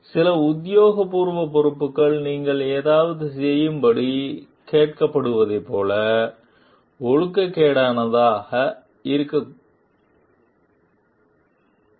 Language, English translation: Tamil, Some official responsibility may be even immoral like you are asked to do something